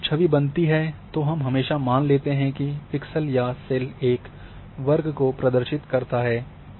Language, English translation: Hindi, But when image is generated we always assume that your pixel or cell is representing a square area